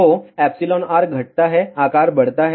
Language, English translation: Hindi, So, epsilon r decreases size increases